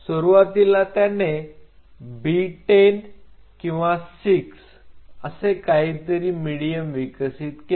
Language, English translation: Marathi, Initially he developed something called B10 or 6 something like a medium